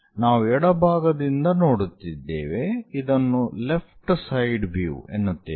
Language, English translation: Kannada, And we are looking from left side so, it is called left side view